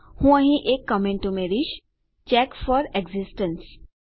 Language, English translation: Gujarati, I will add a comment here check for existence